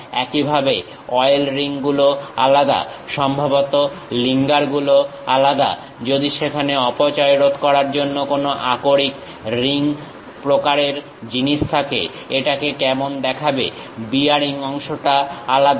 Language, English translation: Bengali, Similarly, oil rings are different, perhaps lingers are different; if there are any ore ring kind of thing to prevent leakage how it looks like, the bearing portion is different